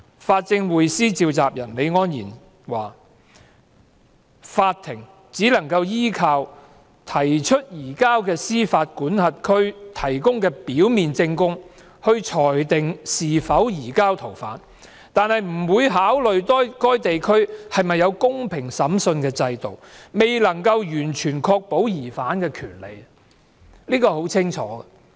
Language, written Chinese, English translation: Cantonese, 法政匯思召集人李安然說，法庭只能夠依靠提出移交的司法管轄區提供的表面證供裁定是否移交逃犯，而不會考慮該地區是否有公平審訊的制度，未能夠完全確保疑犯的權利，這是很清楚的。, Yet as advised by Billy LI Convenor of the Progressive Lawyers Group the court can only rely on the prima facie evidence provided by the requesting jurisdiction to decide whether the surrender request should be allowed without considering whether there is a fair trial system in the requesting jurisdiction to adequately protect the rights of the suspect . This point is clear